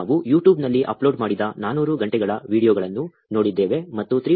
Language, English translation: Kannada, We saw 400 hours of videos uploaded on YouTube, and 3